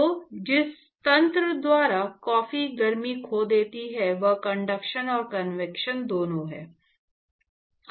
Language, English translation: Hindi, So, the mechanism by which the coffee loses heat is actually both conduction and convection